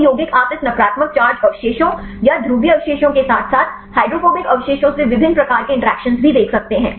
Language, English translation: Hindi, These compound also you can see the different types of interactions from this negative charge residues or the polar residues as well as the hydrophobic residues